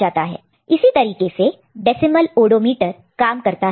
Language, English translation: Hindi, So, this is how odometer decimal odometer works